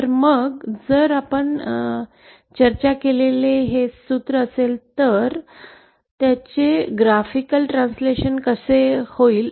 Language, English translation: Marathi, So then if this is the formula that we discussed so how does it actually translate graphically